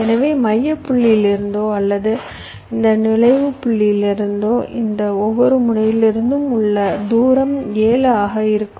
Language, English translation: Tamil, so either from the centre point of, from this entry point, the distance up to each of these nodes will be seven